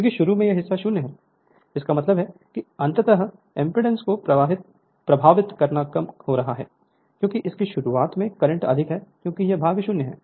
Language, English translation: Hindi, Because at the at the start this part is 0; that means, ultimately affecting impedance is getting reduced because of that starting current is higher because this part is 0 right